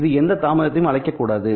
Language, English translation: Tamil, It must also cause no delay